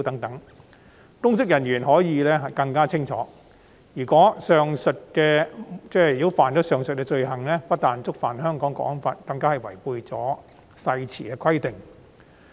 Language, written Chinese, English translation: Cantonese, 《條例草案》讓公職人員更清楚，如果干犯上述罪行，不但觸犯《香港國安法》，更違反誓言的規定。, The Bill makes it clear to public officers that committing these offences do not only violate the National Security Law but also breach the oath